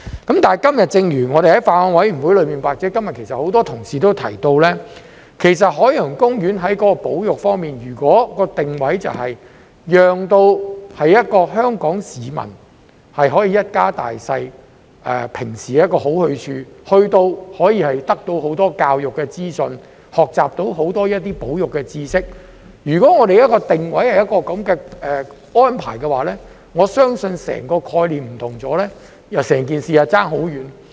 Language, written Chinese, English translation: Cantonese, 不過，正如我們在法案委員會或今天很多同事所提到，其實海洋公園在保育方面......如果其定位是香港市民一家大小平時一個好去處，在該處可以得到很多教育資訊，學習到很多保育知識，如果定位是這樣的安排，我相信整個概念便大為不同，整件事便相差很遠。, However as we have mentioned in the Bills Committee or many colleagues have mentioned today in respect of conservation OP has been If it positions itself as a place to go for families in Hong Kong where they can obtain a lot of educational information and conservation knowledge and if the positioning is arranged in this way I believe this will be a very different concept and the entire story will be very different